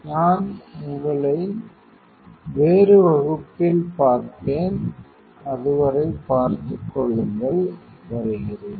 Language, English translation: Tamil, So, I will see you in some other class till then you take care, bye